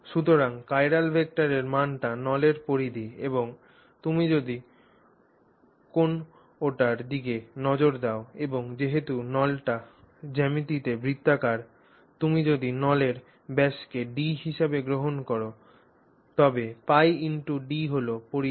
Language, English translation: Bengali, So, magnitude of the chiral vector is the circumference of the tube and if you look at any and since the tube is circular in geometry, if you take the diameter of the tube to be d, then pi d is the magnitude of the circumference